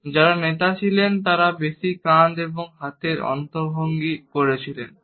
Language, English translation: Bengali, And those who were leaders tended to use more shoulder and arm gestures